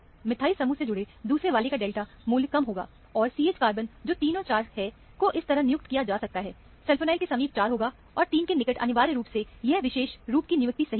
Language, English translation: Hindi, The second one attached to the methyl group will have a lower delta value; and the CH carbons, which are the 3 and 4, can be assigned like this; adjacent to the sulfonyl, would be 4, and adjacent to the 3, would be essentially, this particular assignment will be correct